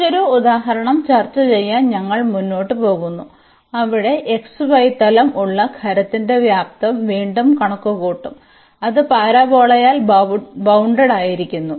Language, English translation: Malayalam, So, we move further to discuss another example where again we will compute the volume of the solid whose base is in the xy plane, and it is bounded by the parabola